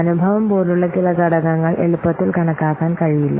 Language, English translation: Malayalam, Some factors such as experience cannot be easily quantified